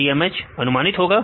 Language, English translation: Hindi, TMH predicted as